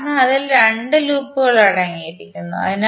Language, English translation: Malayalam, Because it contains 2 loops inside